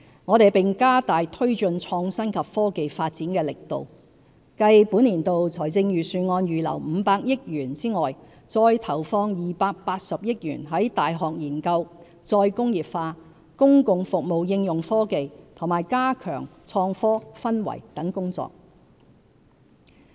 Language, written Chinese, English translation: Cantonese, 我們並加大推進創新及科技發展的力度，繼本年度財政預算案預留的500億元外，再投放280億元在大學研究、再工業化、公共服務應用科技和加強創科氛圍等工作。, We also step up our efforts to promote IT . Further to the 50 billion earmarked in this years Budget we will allocate an additional 28 billion for university research re - industrialization application of technology in public services and fostering of an enabling environment for IT etc